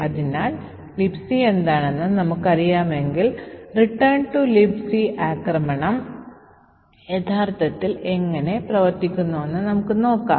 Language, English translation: Malayalam, So, given that we know that what LibC is let us see how a return to LibC attack actually works